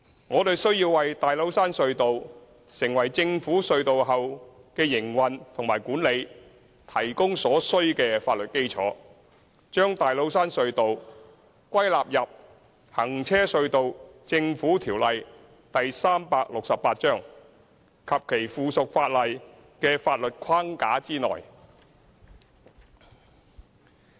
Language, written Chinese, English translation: Cantonese, 我們需要為大老山隧道成為政府隧道後的營運和管理提供所需的法律基礎，將大老山隧道歸納入《行車隧道條例》及其附屬法例的法律框架內。, We need to provide the necessary legal backing for TCT to operate and be managed as a government tunnel and subsume TCT under the legal framework of the Road Tunnels Government Ordinance Cap . 368 and its subsidiary legislation